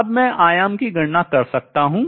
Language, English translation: Hindi, Now how do I calculate the amplitude